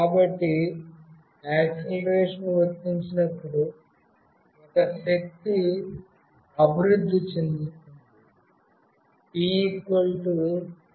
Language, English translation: Telugu, So, as an acceleration is applied, a force is developed